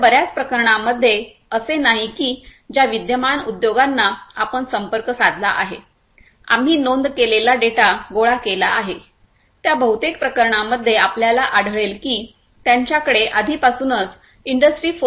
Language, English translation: Marathi, So, it is not necessary and in most cases it is not the case that the existing industries that we have contacted, that we have collected the data from which we have recorded it is in most cases you will find that they do not already have the high standards towards industry 4